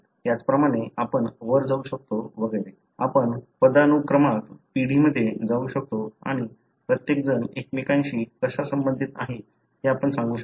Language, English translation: Marathi, Likewise we can go up and so on; we can go up in the hierarchy, in the generation and you will be able to tell how each one is related to the other